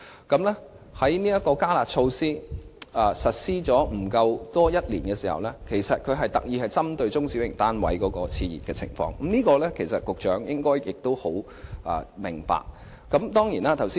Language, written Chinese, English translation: Cantonese, "加辣"措施實施不足一年，而這些措施是政府特意針對中小型單位市場的熾熱情況而設，局長應該很明白。, The enhanced curb measure has been implemented for less than a year and the measure was especially formulated by the Government to curb the overheated market of small to medium flats . The Secretary should be well aware of that